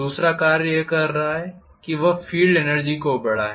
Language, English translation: Hindi, The second task it is doing is to increase the field energy